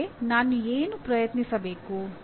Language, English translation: Kannada, What should I try next